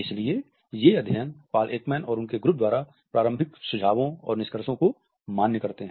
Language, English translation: Hindi, So, these studies validate the initial suggestions and findings by Paul Ekman and his group